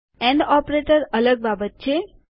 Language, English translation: Gujarati, and operator is a different manner